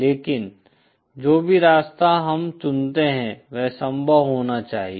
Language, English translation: Hindi, But whichever path we choose, it should be feasible